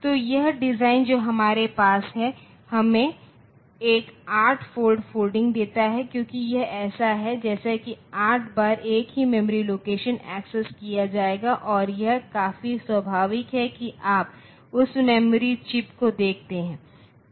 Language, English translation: Hindi, So, this design that we have, so this gives us one 8 fold folding because it is as if for 8 times the same memory location will be accessed and that is quite natural you see that individual memory chips